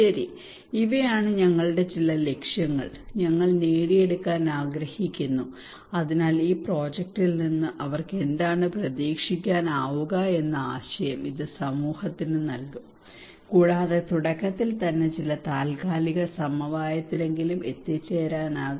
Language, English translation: Malayalam, Okay these are some of our goal, and that we would like to achieve so this will give the community an idea that what they can expect from this project and we can reach to a consensus in the very beginning at least some tentative consensus that okay